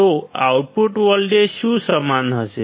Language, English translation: Gujarati, So, what will the output voltage be equal to